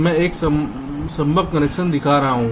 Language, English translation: Hindi, this can be one possible connection